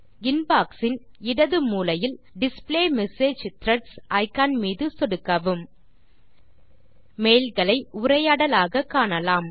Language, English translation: Tamil, Click on the Click to display message threads icon in the left corner of the Inbox